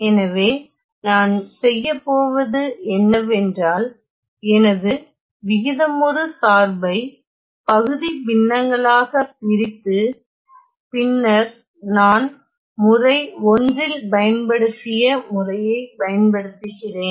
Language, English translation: Tamil, So, what I do is; I divide my rational function into partial fractions and then use the method that I have used in method 1